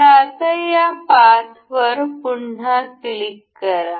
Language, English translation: Marathi, So, now, again this path, we will click ok